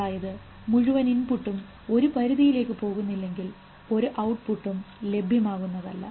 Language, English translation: Malayalam, That means unless the whole input goes to a threshold, there will be no further output